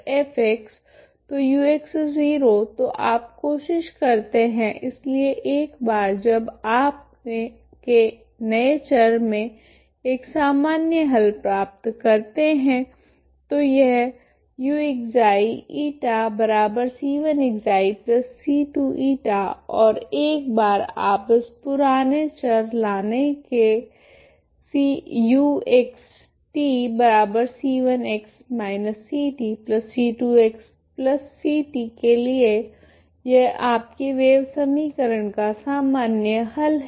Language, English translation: Hindi, U X 0 is F X so U X 0 so you try to, once you get a general solution in the new variables it is X T this is what it is, if you write U of Xi eta that is C1 Xi plus C2 eta ok and once you bring it to the old variables U of X T this is your general solution of the given wave equation